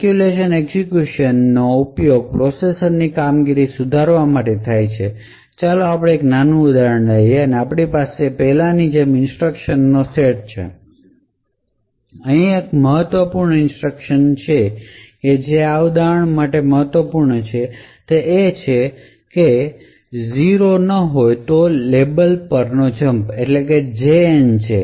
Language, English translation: Gujarati, So speculative execution is used essentially to improve the performance of the processor, so let us actually take a small example and we have a set of instructions as before and one important instruction that is important for this example is this this is a jump on no 0 to a label